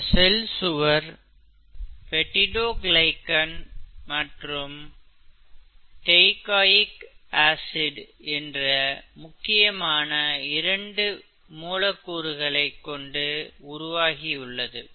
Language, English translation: Tamil, As a cell wall is predominantly made up of two kinds of molecules called ‘peptidoglycan’ and ‘teichoic acids’, okay